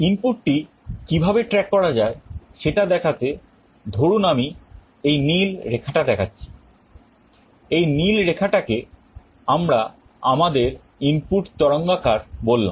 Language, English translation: Bengali, To show how the input can track, suppose this blue line I am showing, this blue line let us say is my input waveform